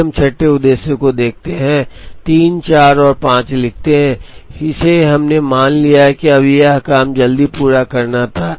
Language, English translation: Hindi, Then we look at the sixth objective, write from 3 4 and 5, we assumed that, it was to complete a job early